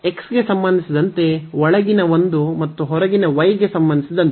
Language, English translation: Kannada, So, inner one with respect to x and the outer one with respect to y